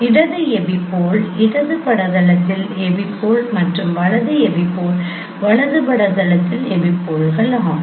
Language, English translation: Tamil, Left apople is the epipole at the left image plane and right epipole is the epipole at the right image plane